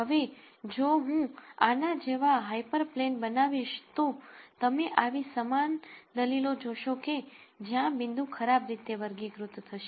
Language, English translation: Gujarati, Now, if I were to come out similarly with a hyper plane like this you will see similar arguments where these are points that will be poorly classified